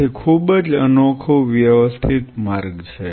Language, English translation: Gujarati, So, very unique systematic pathway